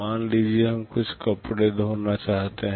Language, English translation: Hindi, Suppose we want to wash some cloths